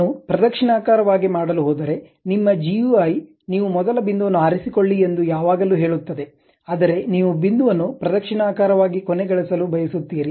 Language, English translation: Kannada, If I am going to do clockwise direction, your GUI always says that you pick the first point, but you want to end the point in the clockwise direction